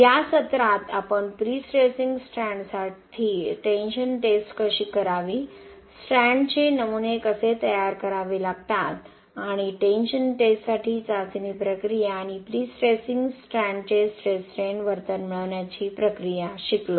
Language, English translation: Marathi, In this session we have learned how to do tension test for the prestressing strand, how do you need to prepare the strand specimens and the test procedure for tension test and procedure for obtaining the stress strain behaviour of the prestressing strand